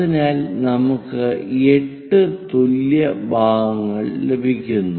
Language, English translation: Malayalam, So, 8 equal parts